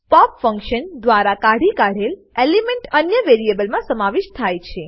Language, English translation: Gujarati, The element removed by pop function can be collected into another variable